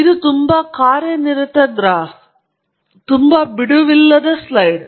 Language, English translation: Kannada, This is a very busy graph; a very busy slide